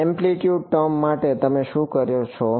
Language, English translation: Gujarati, For the amplitude term what do you do